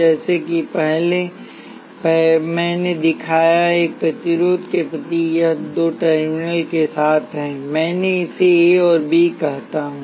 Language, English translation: Hindi, As I showed earlier the symbol for a resistor is this with two terminals; let me call this A and B